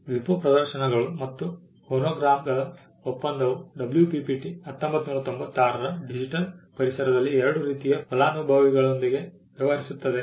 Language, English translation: Kannada, The WIPO performances and phonograms treaty the WPPT 1996 deals with two kinds of beneficiaries in the digital environment